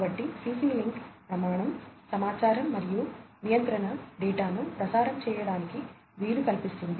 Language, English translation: Telugu, So, CC link standard facilitates transmission of information and control data